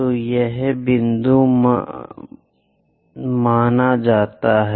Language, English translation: Hindi, So, this supposed to be focal point